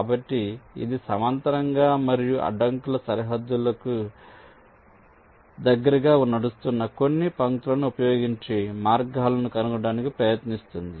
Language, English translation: Telugu, ok, so it is trying to trace the paths using some lines which are running parallel and close to the boundaries of the obstacles